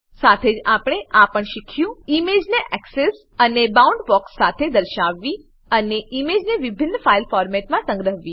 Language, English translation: Gujarati, We have also learnt to, Display the image with axes and boundbox and Save the image in different file formats